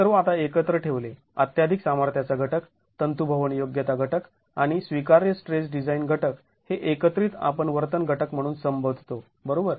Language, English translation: Marathi, Now these put together the over strength factor, the ductility factor and the allowable stress design factor together is what we refer to as the behavior factor, right